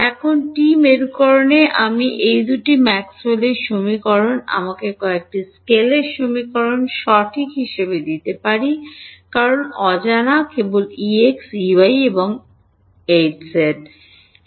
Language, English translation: Bengali, Now in TE polarization I can use these two Maxwell’s equations to give me few scalar equations right because the unknowns are only E x E y and E z sorry H z